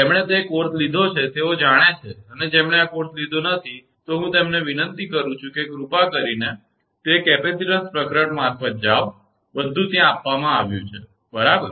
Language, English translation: Gujarati, If you those who have taken that course they know it, those who have not taken this course, I request them please go through that capacitance chapter everything is given right